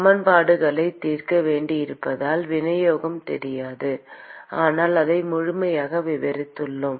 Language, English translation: Tamil, We do not know the distribution because we have to solve the equations, but we have described it completely